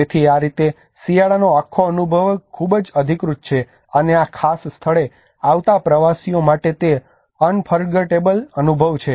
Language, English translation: Gujarati, So that is how this whole winter experience is and very authentic, and it is unforgettable experience for the tourists who come to this particular place